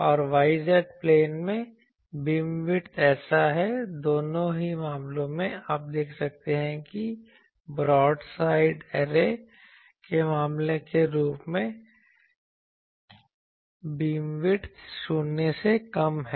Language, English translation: Hindi, And beam width in the yz plane is so, in both the cases, you can see that as the case for broad side array, the beam width is this is the null to null beam width